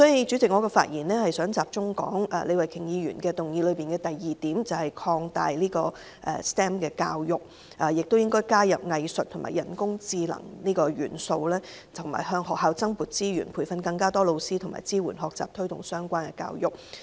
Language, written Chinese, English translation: Cantonese, 主席，我想集中討論李慧琼議員的議案的第二點，就是擴大 STEM 教育，加入藝術和人工智能元素，以及向學校增撥資源，以培訓更多教師和支援學習，推動相關教育。, President I would like to focus my discussion on the second point in Ms Starry LEEs motion which proposes to expand the scope of STEM education with the inclusion of elements of arts and artificial intelligence AI and to allocate additional resources to schools for training teachers supporting learning and promoting the relevant education